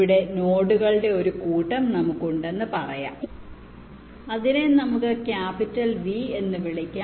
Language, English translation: Malayalam, here lets say that we have the set of nodes, lets call it capital v, and m denotes the size of each cluster